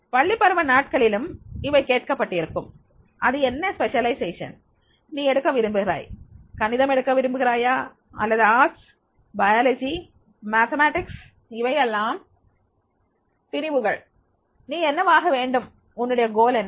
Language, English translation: Tamil, In the school days also it has been asked that is what specialization you want to take you want to take the mathematics or science commerce or you want to take arts, biology, mathematics